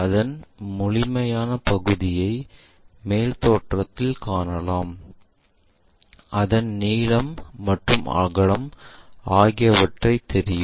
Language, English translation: Tamil, The complete area one can really see it in the top view, where we have that length and also breadth